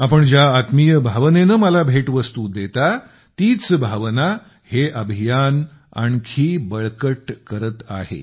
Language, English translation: Marathi, The affectionate, warm spirit, with which you present me gifts …that very sentiment gets bolstered through this campaign